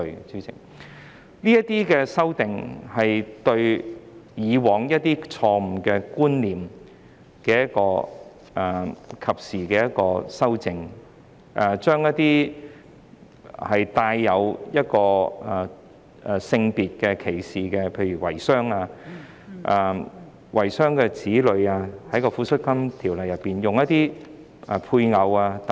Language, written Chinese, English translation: Cantonese, 這些修訂能對以往錯誤的觀念作出及時的修正，將一些帶有性別歧視的用詞，例如遺孀、遺孀的子女，在《尚存配偶及子女撫恤金條例》中用一些配偶等。, These amendments can make timely corrections to the past erroneous concepts substituting sex - discriminatory terms such as widows and widows children with some words like spouses in the Surviving Spouses and Childrens Pensions Ordinance